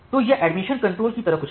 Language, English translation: Hindi, So, it has few steps like the admission control